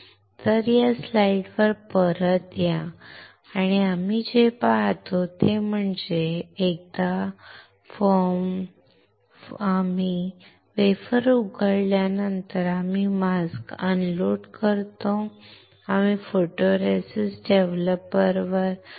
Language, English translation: Marathi, So, come back to this slide and what we see is, once we have exposed the wafer, we unload the mask and we keep the wafer in the photoresist developer